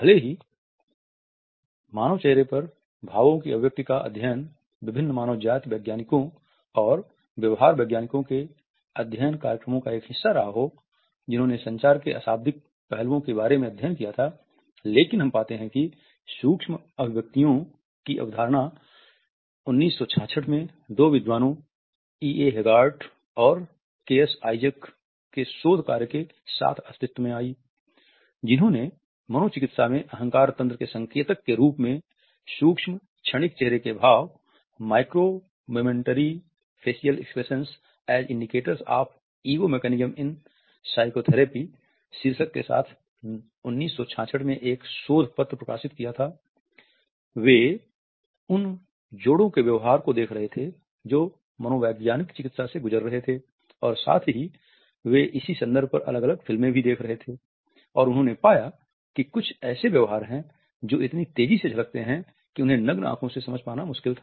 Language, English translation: Hindi, Even though the studies of expressions of emotions on human face had been a part of the study programs of various ethnologist and behavioral scientists who had taken of their studies of non verbal aspects of communication, we find that the idea of micro expressions came into existence with the research work of two scholars EA Haggart and KS Isaacs who published a paper in 1966 with the title Micro Momentary Facial Expressions as Indicators of Ego Mechanisms in psychotherapy